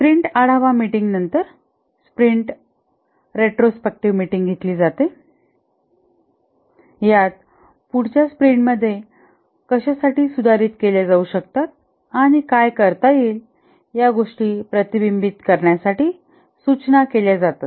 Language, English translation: Marathi, The sprint retrospective meeting is conducted after the sprint review meeting just to reflect on the things that have been done what could be improved to be taken up in the next sprint and so on